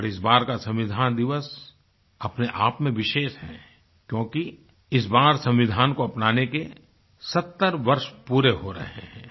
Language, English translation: Hindi, This year it is even more special as we are completing 70 years of the adoption of the constitution